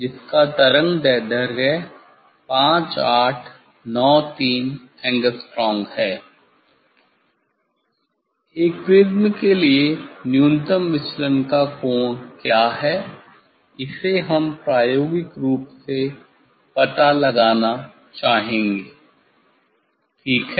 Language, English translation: Hindi, 5893 Angstrom for this wavelength, what is the angle of minimum deviation of a prism, that we would like to find out experimentally, ok